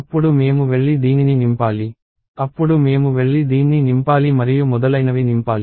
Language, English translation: Telugu, Then I have to go and fill up this; then I have to go and fill up this; and so on